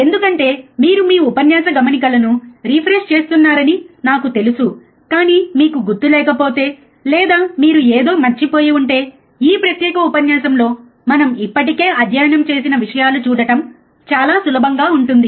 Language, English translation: Telugu, Because that I am sure that you know you are refreshing your lecture notes, but if you do not remember, or you have forgot something, it is easy to see in this particular lecture what things we have already studied